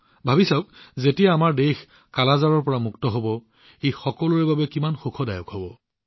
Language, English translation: Assamese, Just think, when our country will be free from 'Kala Azar', it will be a matter of joy for all of us